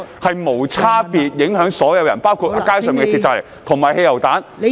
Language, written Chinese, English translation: Cantonese, 會無差別地影響所有人，包括在街上投擲鐵蒺藜和汽油彈。, including throwing of caltrops and petrol bombs in the streets will indiscriminately affect everyone